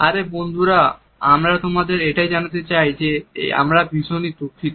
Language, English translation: Bengali, Come on you guys we want you to know we are very very sorry